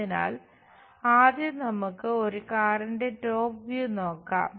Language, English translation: Malayalam, So, let us first of all look at top view of a car